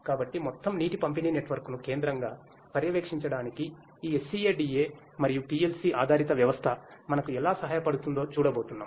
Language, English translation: Telugu, So, we are going to see how this SCADA and PLC based system will help us to monitor centrally the overall water distribution network